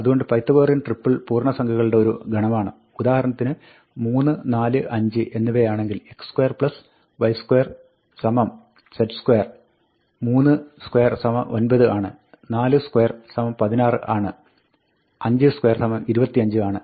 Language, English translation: Malayalam, So, Pythagorean triple is a set of integers, say 3, 4 and 5, for example, such that, x square plus y square is z square; 3 square is 9; 4 square is 16; 5 square is 25